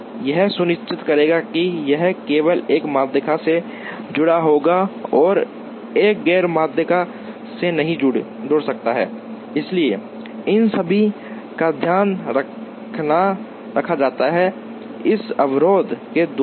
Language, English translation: Hindi, This will ensure that, it will get attached to only one median and cannot get attach to a non median point, so all these are taken care of, by this set of constraints